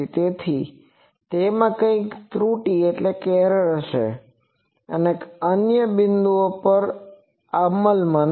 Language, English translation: Gujarati, So, there will be some errors because at other points it is not enforced